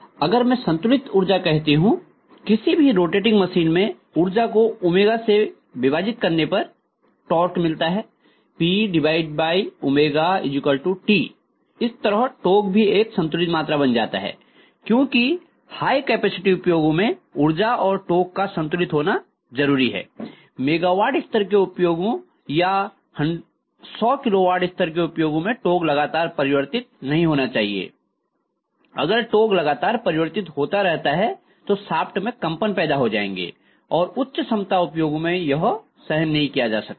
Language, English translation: Hindi, So if I say constant power, power divided by omega is going to be torque in any rotating machine, so the torque also becomes a constant quantity roughly, because you have the power and torque to be constant it is very suitable for high capacity applications, what is mean is mega watt level application or even 100 of kilowatt level applications, you do not want the torque to change continuously, if the torque changes continuously you are going to have vibrations in the shaft, which can not be tolerated especially at high capacity applications